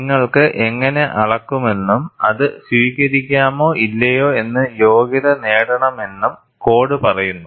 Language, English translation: Malayalam, The code says, how you should measure and qualify whether you can accept or not